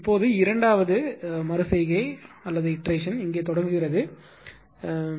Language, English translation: Tamil, Now, now second iteration starts here this is second iteration